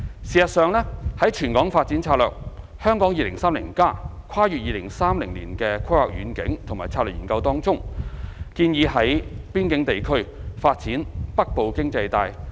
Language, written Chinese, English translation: Cantonese, 事實上，在全港發展策略《香港 2030+： 跨越2030年的規劃遠景與策略》研究當中，建議在邊境地區發展"北部經濟帶"。, In fact in the study of territorial development strategy under Hong Kong 2030 Towards a Planning Vision and Strategy Transcending 2030 a northern economic belt is proposed in the border areas